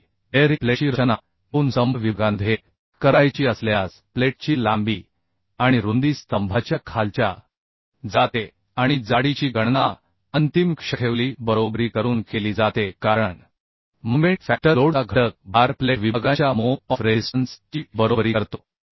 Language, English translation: Marathi, However in case of bearing plate is to be designed between two columns sections the length and width of the plate are kept equal to size of lower storey column and the thickness is computed by equating the ultimate moment due to the factor load of the moment factor load to the moment of resistance of plate section